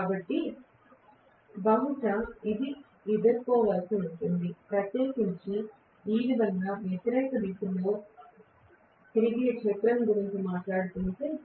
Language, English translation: Telugu, So probably this will face, if especially if I am talking about a field rotating in anticlockwise direction like this